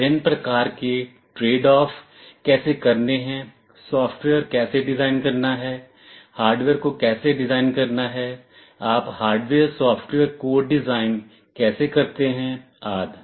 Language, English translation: Hindi, How do carry out various kinds of trade off, how to design software, how to design hardware, how do you carry out something called hardware software code design, etc